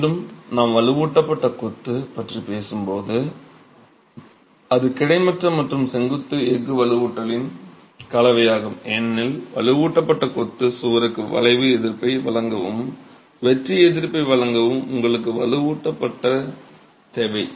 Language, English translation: Tamil, Again, when we talk of reinforced masonry, it is a combination of both horizontal and vertical steel reinforcement because you need reinforcement to provide flexual resistance and provide shear resistance to the reinforced masonry wall